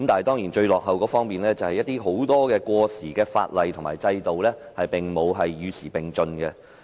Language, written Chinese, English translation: Cantonese, 當然，最落後的是很多過時的法例和制度並無與時並進。, Of course what lags the farthest behind are many obsolete ordinances and systems as they have not been kept abreast of the times